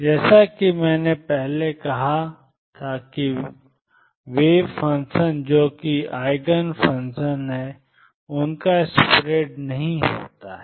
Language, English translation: Hindi, As I said earlier the wave functions that are Eigen functions do not have a spread